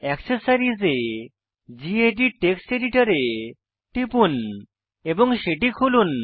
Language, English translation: Bengali, In Accessories, lets open gedit Text Editor by clicking on it